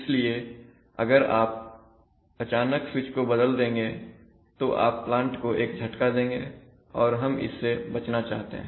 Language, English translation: Hindi, So now if you, if you suddenly flick the switch over you are likely to give the plant a shock and we want to avoid that